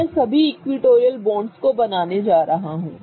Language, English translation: Hindi, So, I'm going to draw all the equatorial bonds